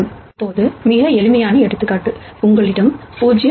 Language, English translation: Tamil, Now, just as a very, very simple example, if you have a 0